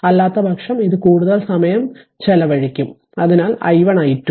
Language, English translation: Malayalam, So, otherwise it will consume more time; so, i 1 and i 2